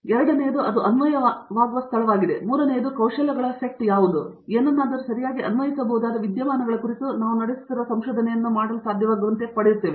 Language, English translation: Kannada, The second one is where it is being applied; and the third is what are the skills sets, we are acquiring in order be able to do the research that we are doing on the phenomena that is applied to something right